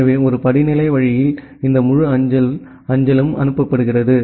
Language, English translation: Tamil, So, that way in a hierarchical way this entire postal mail is being forwarded